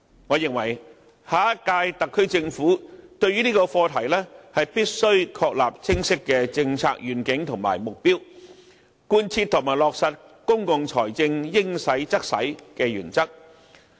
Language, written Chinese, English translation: Cantonese, 我認為下一屆特區政府須就這個課題確立清晰的政策願景和目標，貫徹和落實公共財政應花則花的原則。, I consider it necessary for the SAR Government of the next term to establish clear policy vision and targets for the subject so as to put into practice the public finance principle of allocating resources where they are required